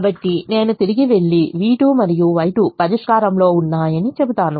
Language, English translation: Telugu, so that leaves me with v two and y two in the solution